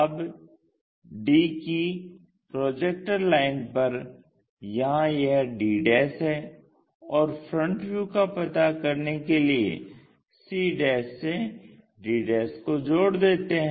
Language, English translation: Hindi, Now, the locus for d is this d' the projector lines, and from c join this line to locate our front view